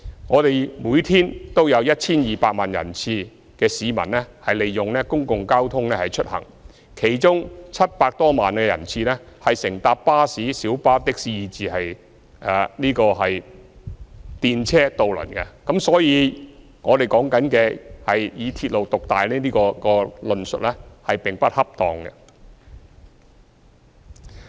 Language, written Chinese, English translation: Cantonese, 我們每天有 1,200 萬人次的市民利用公共交通出行，其中有700多萬人次乘搭巴士、小巴、的士以至電車和渡輪，所以，所謂"鐵路獨大"的論述並不恰當。, Every day there are 12 million passenger trips made on public transport among which some 7 million are made on buses minibuses taxis trams and ferries . So railway hegemony as they call it is simply an incorrect assertion